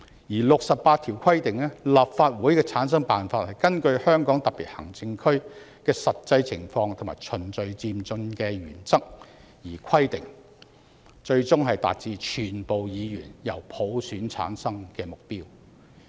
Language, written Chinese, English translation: Cantonese, 第六十八條規定"立法會的產生辦法根據香港特別行政區的實際情況和循序漸進的原則而規定，最終達至全部議員由普選產生的目標"。, Article 68 stipulates that The method for forming the Legislative Council shall be specified in the light of the actual situation in the Hong Kong Special Administrative Region and in accordance with the principle of gradual and orderly progress . The ultimate aim is the election of all the members of the Legislative Council by universal suffrage